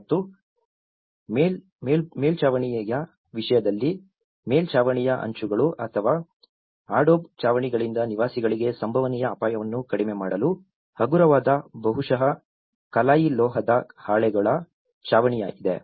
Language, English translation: Kannada, And in terms of roof, there has been a lightweight probably galvanized metal sheets roofing to reduce potential danger to occupants from falling roof tiles or the adobe roofs